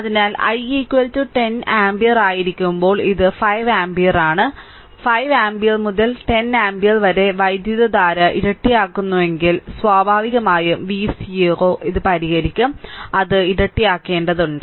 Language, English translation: Malayalam, So, this i is 5 ampere another case when i is equal to 10 ampere and if 5 ampere to 10 ampere means the current getting doubled naturally v 0 also you solve it, it has to be doubled right